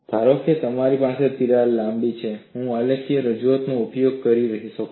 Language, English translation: Gujarati, Suppose, I have a longer crack, how I can use the graphical representation